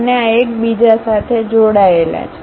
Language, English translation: Gujarati, And, these are connected with each other